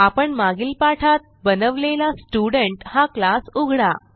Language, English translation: Marathi, Open the Student class we had created in the earlier tutorial